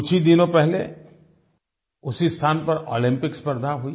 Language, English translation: Hindi, Olympic Games were held at the same venue only a few days ago